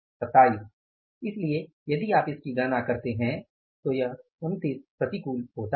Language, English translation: Hindi, So, if you calculate this it comes up as 29 unfavorable